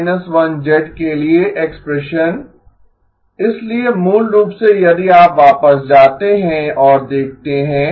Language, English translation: Hindi, Now the expression for G N minus 1, so basically if you go back and look at I do not remember the equation number